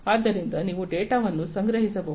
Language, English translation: Kannada, So, you have to collect the data